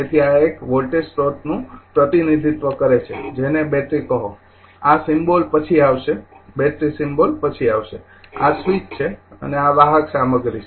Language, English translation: Gujarati, So, this is a voltage source representing says battery this symbol will come later battery symbol will come later this is the switch and this is conducting material